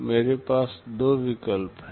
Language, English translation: Hindi, I have two alternatives